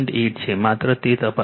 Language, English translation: Gujarati, 8 just check